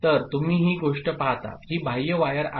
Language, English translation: Marathi, So, you see this thing, this is external wire